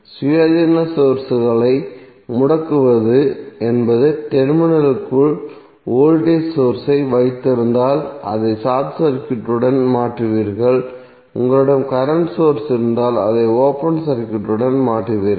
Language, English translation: Tamil, Turning off the independent sources means if you have the voltage source inside the terminal you will replace it with the short circuit and if you have current source you will replace it with the open circuit